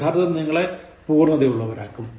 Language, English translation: Malayalam, Practice will make you perfect